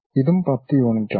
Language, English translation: Malayalam, And, this one also 10 units